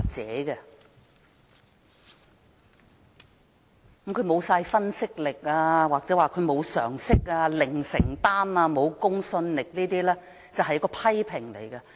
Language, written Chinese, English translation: Cantonese, 指責他沒有分析力、沒有常識、零承擔及沒有公信力等說話只是批評。, The saying that he lacks analytical power common sense commitment and credibility is a mere criticism